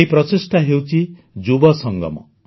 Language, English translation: Odia, This is the effort of the Yuva Sangam